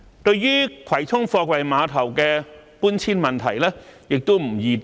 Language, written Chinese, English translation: Cantonese, 對葵涌貨櫃碼頭的搬遷問題，亦不易定案。, The relocation of the Kwai Chung Container Terminals is not an easy decision to make either